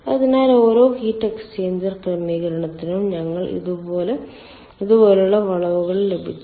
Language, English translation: Malayalam, so for each and every heat exchanger, ah arrangement, we have got curves like this